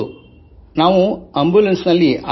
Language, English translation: Kannada, You came in an ambulance